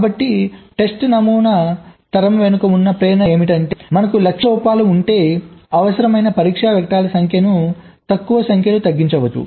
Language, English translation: Telugu, so this is the motivation behind test pattern generation, that if we have a target set of faults we can reduce the number of test factors required drastically